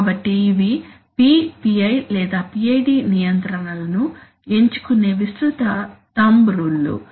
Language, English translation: Telugu, So these are, you know, broad thumb rules of selecting P, PI or PID controls